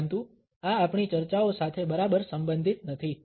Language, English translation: Gujarati, But this is not exactly concerned with our discussions